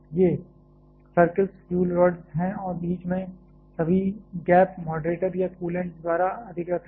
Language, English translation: Hindi, These circles are fuel rods and all the gaps in between are occupied by moderator or the coolant